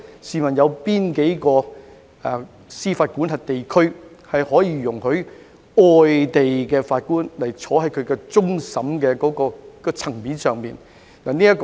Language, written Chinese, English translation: Cantonese, 試問有哪個司法管轄區在其憲制架構下，容許外地法官審理終審層面的案件？, May I ask which jurisdiction allows overseas judges to hear cases before the highest courts under its constitutional structure?